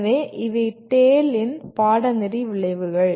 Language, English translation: Tamil, So these are the course outcomes of TALE